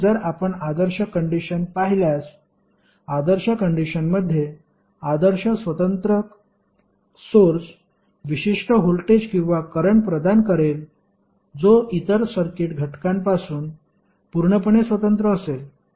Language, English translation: Marathi, So, if you see the ideal condition in ideal condition the ideal independent source will provide specific voltage or current that is completely independent of other circuit elements